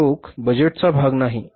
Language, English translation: Marathi, It is not the part of the cash budget